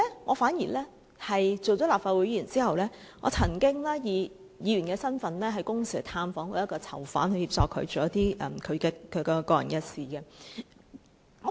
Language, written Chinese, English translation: Cantonese, 我擔任立法會議員後，亦曾以議員身份探訪1名囚犯，以協助他處理私人事務。, After taking office as a legislator I also visit a prisoner once in my capacity as a legislator for the purpose of handling some private business on the prisoners behalf